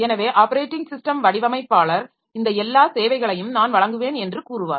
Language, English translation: Tamil, So, operating system designer will tell I provide all these services